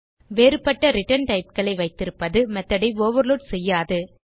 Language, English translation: Tamil, Having different return types will not overload the method